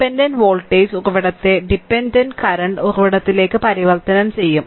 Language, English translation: Malayalam, So, dependent voltage source will be converted to dependent current source right